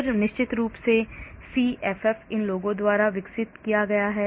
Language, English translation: Hindi, Then of course CFF this is developed by these people